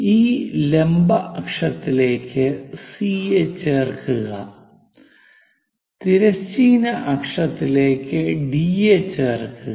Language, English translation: Malayalam, Join C onto this axis vertical axis join D with horizontal axis